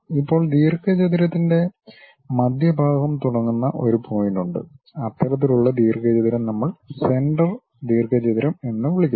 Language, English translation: Malayalam, Now, there is one point from where the center of the rectangle supposed to be there, that kind of rectangle what we are calling center rectangle